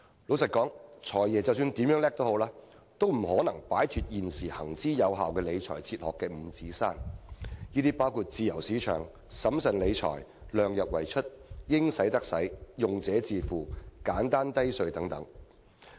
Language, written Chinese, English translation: Cantonese, 坦白說，無論"財爺"如何了得，亦不可能擺脫現時行之有效的理財哲學五指山，包括自由市場、審慎理財、量入為出、"應使則使"、用者自付和簡單低稅等原則。, Frankly speaking no matter how competent the Financial Secretary is he cannot escape from the bounds of the current well - established financial philosophy including the principles of free market managing public finances with prudence and keeping expenditure within the limits of revenues committing resources as and when needed user pays as well as maintaining a simple and low tax regime